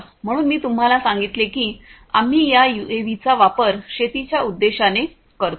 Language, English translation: Marathi, So, I told you that we use these UAVs for agricultural purposes